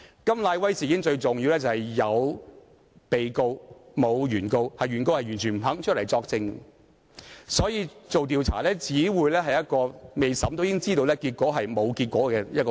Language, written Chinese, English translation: Cantonese, 甘乃威事件中最重要的一點是有被告，沒有原告——原告不肯作證，所以調查只會是沒有結果的過程，而這是未審也知道的。, The key in the KAM Nai - wai incident is that there was only the defendant but no plaintiff―for the plaintiff had refused to give evidence which would render the investigation a mere process without any conclusion . It was a known fact before adjudication